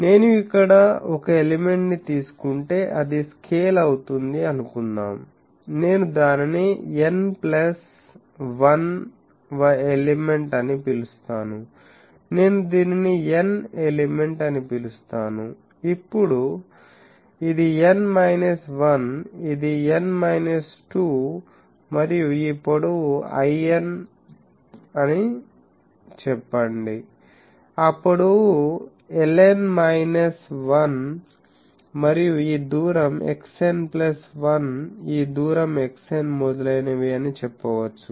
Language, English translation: Telugu, Now you see if I take an element here; that is getting scaled suppose I call it n plus 1 th element, I call it n element, then this is n minus 1, this is n minus 2 and let us say that this length is l n, this length is l n minus 1 and this distance is x n plus 1 this distance is x n etc